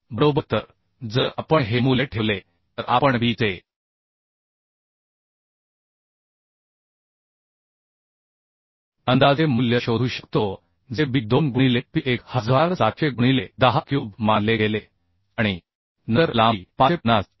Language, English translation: Marathi, 45 fck right So if we put those value we can find out approximate value of B that is B as 2 into P was considered 1700 into 10 cube and then length was assumed as 550 and 0